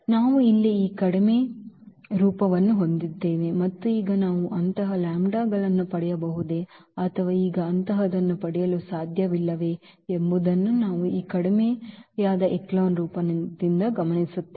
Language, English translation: Kannada, So, we have this reduced form here and now what we will observe out of this reduced form whether we can get such lambdas or we cannot get such lambdas now